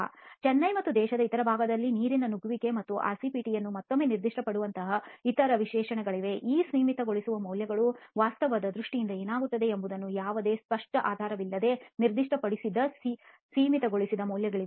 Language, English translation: Kannada, There are of course other specifications like metro specifications in Chennai and other parts of the country where you have water penetration and RCPT specified once again, there are limiting values specified without really any clear basis for what these limiting values pertain to in terms of the actual performance of the structure